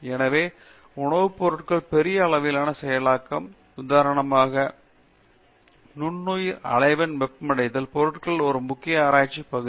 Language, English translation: Tamil, So, large scale processing of food materials, for example, in micro wave heating thawing of materials is an important research area